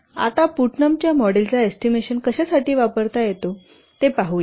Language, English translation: Marathi, Now let's see Putnam's model can be used to estimate what